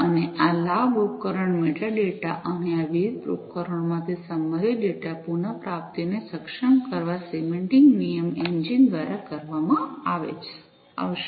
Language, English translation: Gujarati, And this leveraging, the device metadata and enabling the retrieval of contextual data from these different devices, will be done by the semantic rule engine